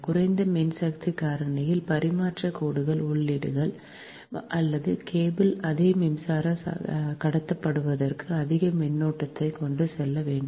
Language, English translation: Tamil, at low power factor, the transmission lines, feeders or cable have to carry more current for the same power to be transmitted